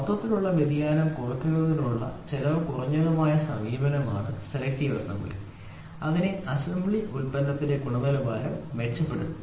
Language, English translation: Malayalam, So, selective assembly is the cost effective, cost effective approach to reduce the overall variation thus improving the quality of the assembly product